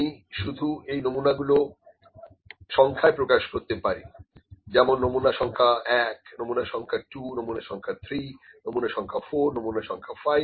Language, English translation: Bengali, Like I say I have five samples, I just number this sample number 1 sample, number 2, number 3, number 4, number 5